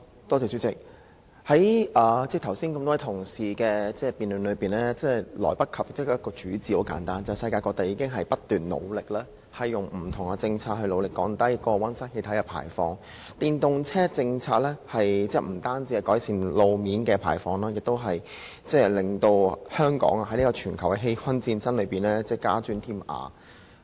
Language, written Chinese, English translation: Cantonese, 代理主席，多位同事剛才的辯論離不開一個主旨，就是世界各地正努力透過不同政策降低溫室氣體排放，而電動車政策不單可以改善路邊空氣污染排放，亦可使香港在打擊全球氣溫上升的戰爭中加磚添瓦。, Deputy President just now many Members speeches inextricably linked to one theme and that is different places around the world now strive to adopt different policies to lower greenhouse gas emissions and the policy of electric vehicles EVs can relieve roadside emissions and also strengthen Hong Kong in the combat against global warming